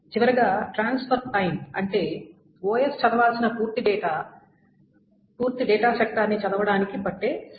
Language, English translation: Telugu, So transfer time is the time such that the complete sector of data is read